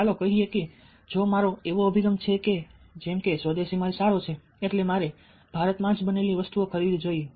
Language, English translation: Gujarati, so let us say that, ah, if i, if i have an attitude that swadesi goods are good, i should be buying things which are made in india